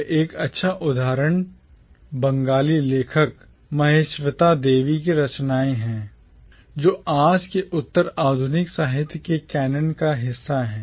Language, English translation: Hindi, And one good example would be the works of the Bengali author Mahasweta Devi, which forms today part of the canon of postcolonial literature